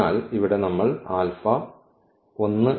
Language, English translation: Malayalam, So, that is here we have taken just alpha 1